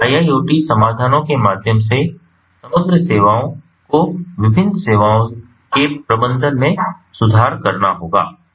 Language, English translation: Hindi, so through iiot solutions, the overall services, the management of the different services, have to be improved